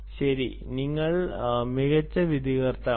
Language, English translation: Malayalam, well, you are the best judge